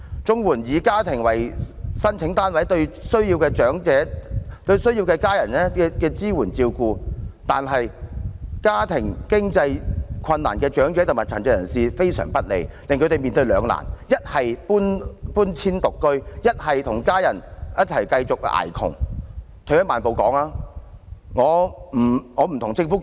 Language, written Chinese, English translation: Cantonese, 綜援以家庭為申請單位的做法，對需要家人支援照顧但家庭經濟困難的長者及殘疾人士非常不利，令他們面對兩難，一是遷出獨居，一是繼續與家人"捱窮"。, The arrangement of making applications on a household basis under the CSSA Scheme is extremely unfavourable to elderly persons and persons with disabilities who face financial difficulties and need the support and care of their families . They are caught in the dilemma of moving out to live alone or staying with their families in poverty